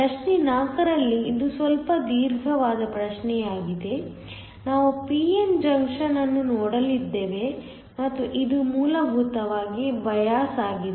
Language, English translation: Kannada, In problem 4, which is slightly a long problem, we are going to look at a p n junction and this essentially biased